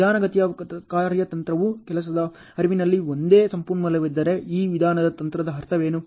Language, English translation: Kannada, Slow strategy if I have only one resource in workflow this is what is the meaning of the slow strategy